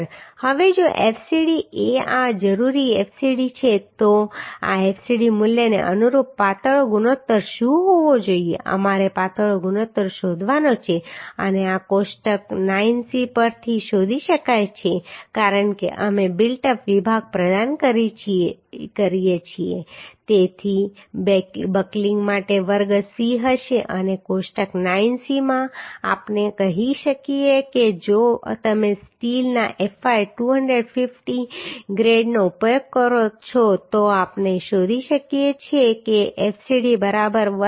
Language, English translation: Gujarati, 03 MPa right Now if fcd is this that required fcd is this then what should be the slenderness ratio means corresponding to this fcd value we have to find out slenderness ratio and this can be found from table 9c because we are providing built up section so for that buckling class will be c and in table 9c we can find out the value for say if you use fy 250 grade of steel then we can find out for fcd is equal to 145